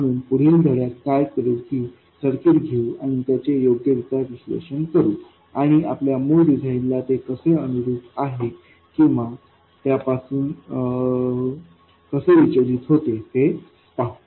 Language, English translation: Marathi, So, what we will do in the next lesson is to take this circuit and analyze it properly and see how it conforms to our original design or deviates from it